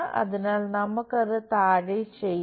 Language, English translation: Malayalam, So, let us do that down